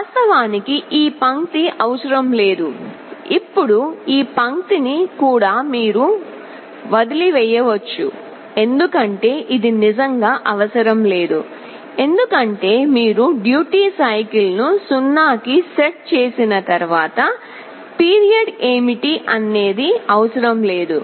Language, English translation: Telugu, Now, this line is actually not needed this line you can also omit this is not really required because, once you set the duty cycle to 0 the period does not matter ok